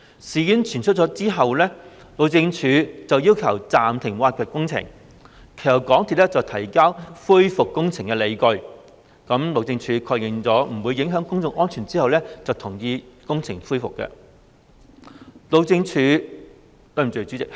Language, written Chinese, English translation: Cantonese, 事件傳出後，路政署要求暫停挖掘工程，其後港鐵公司提交恢復工程的理據，路政署確認不會影響公眾安全後，便同意工程復工。, After such news was divulged the Highways Department HyD demanded suspension of excavation works . Later MTRCL submitted justifications for resumption of works . After affirming that public safety would not be affected HyD consented to the resumption